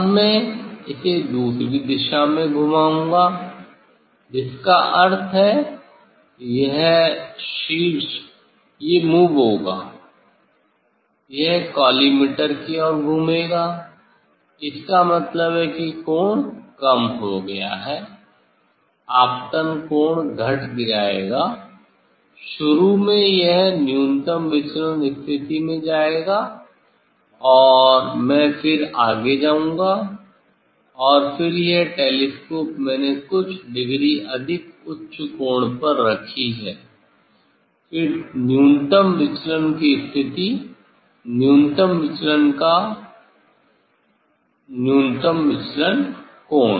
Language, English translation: Hindi, Now, I will rotate this other direction that means, this apex it will this moves, it will rotate towards the collimator; that means, the angle is decreased, incident angle will decrease, initially it will go the minimum deviation position and then further I will go and then this telescope I kept at few degree higher angle then the minimum deviation position, minimum deviation angle of minimum deviation